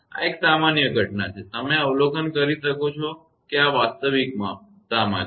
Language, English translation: Gujarati, This is a common phenomena, you can observe this is in reality